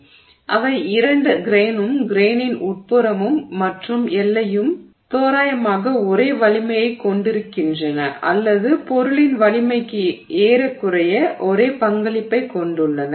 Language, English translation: Tamil, So, both of them the grain as well as the interior of the grain as well as the boundary as well as the boundary have roughly the same strength or roughly the same contribution to the strength of the material